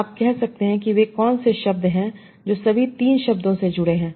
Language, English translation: Hindi, You might say, OK, what are the words that are associated with all the three words